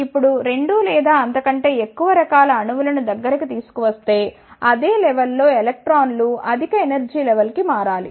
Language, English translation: Telugu, Now, if 2 or more such type of atoms are brought in close vicinity, then the electrons at the similar level should shift to the higher energy level